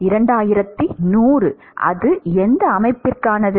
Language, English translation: Tamil, 2100 that is for which system